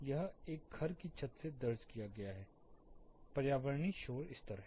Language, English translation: Hindi, This is the environmental or ambient noise level recorded from a terrace of a house